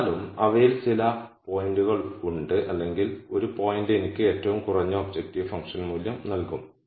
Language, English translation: Malayalam, Nonetheless, there are some points out of those or one point which would give me the lowest objective function value